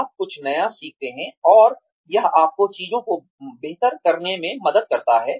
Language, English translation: Hindi, You learn something new, and it helps you do things better